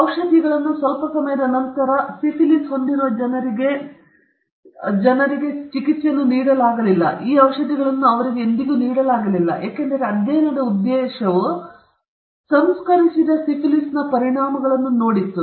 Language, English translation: Kannada, And the people who had syphilis were not treated even though medicines became available slightly later, they were never given, they were never administered this medicine because a purpose of the study was to see the effects of untreated syphilis